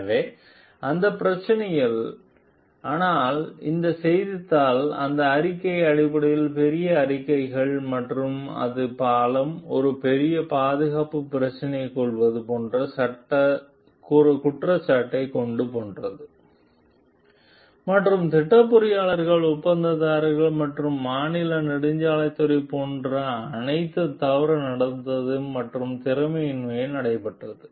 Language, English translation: Tamil, So, of those problems, but this newspaper have made big statements based on that report and like in brings allegation like the bridge has made a major safety issues, and like the project engineers, contractors, and state highway department like were all held for misconduct and incompetence